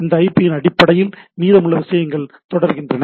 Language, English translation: Tamil, And based on this IP, the rest of the things goes on